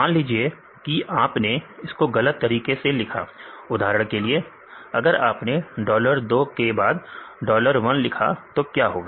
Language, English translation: Hindi, If you write it wrong way; for example if you write dollar 2; dollar 1 what will happen